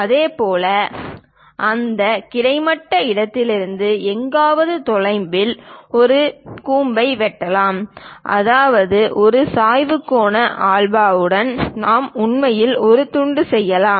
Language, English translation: Tamil, Similarly, one can slice this cone somewhere away from that horizontal location; that means with an inclination angle alpha, that also we can really make a slice